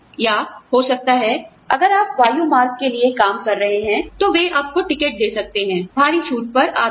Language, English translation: Hindi, Or, maybe, if you are working for an airline, they could give you tickets, you know, at heavy discount, etcetera